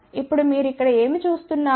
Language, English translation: Telugu, Now, what you see over here